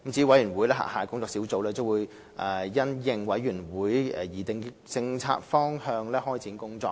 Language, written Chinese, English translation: Cantonese, 委員會轄下的工作小組將因應委員會擬定的政策方向開展工作。, The Working Groups under the Commission will commence their work in the policy direction laid down by the Commission